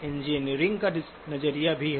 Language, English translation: Hindi, There is also the engineering perspective